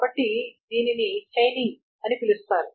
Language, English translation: Telugu, So that is called the chaining